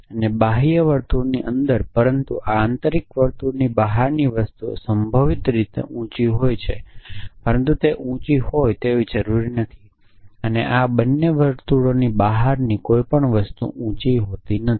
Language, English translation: Gujarati, And anything inside the outer circle, but outside the inner circle is possibly tall but not necessarily tall and anything outside both the circle is not tall essentially